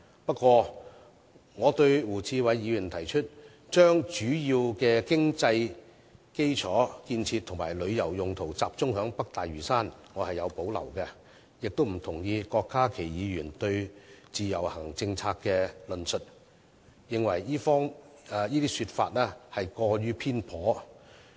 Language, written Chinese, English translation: Cantonese, 不過，對於胡志偉議員提議把主要的經濟基礎建設及旅遊用途集中於北大嶼山，我卻有所保留，亦不同意郭家麒議員就自由行政策作出的論述，我認為這些說法過於偏頗。, However I do have reservation about Mr WU Chi - wais proposal to concentrate the development of major economic infrastructure and tourism in North Lantau and disagree with Dr KWOK Ka - kis remarks on the IVS policy which I think is too biased